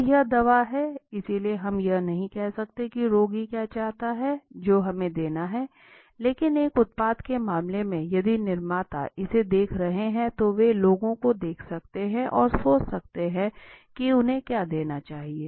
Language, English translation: Hindi, Now this is the medicine, so we cannot say what patient want that we have to give, but in case of a let say a product, if the manufacturers are looking at it, they can observe the people and think then what they should be giving to the public to the consumer right